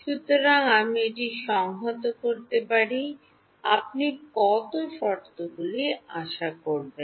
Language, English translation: Bengali, So, I can integrate it, how many terms do you expect will happen